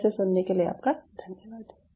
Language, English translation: Hindi, thank you for your patience listening